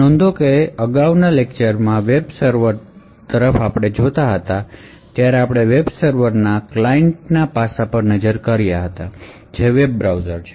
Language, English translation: Gujarati, So, note that while the previous lecture looked at the web server we look at the client aspect of the web server that is a web browser